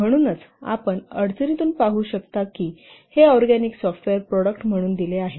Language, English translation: Marathi, So as you can see from the problem, it is given as organic software product